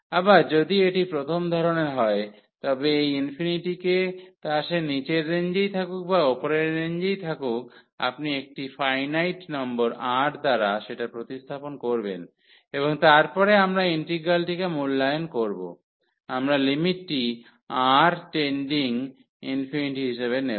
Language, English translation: Bengali, So, if it is a of first kind then this infinity whether it is in the lower range or the upper one you will replace by a finite number R and then we will evaluate the integral later on we will take the limit as R tending to infinity